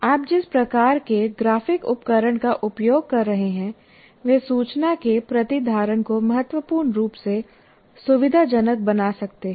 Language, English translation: Hindi, So, depending on the kind of graphic tools that you are using, they can greatly facilitate retention of information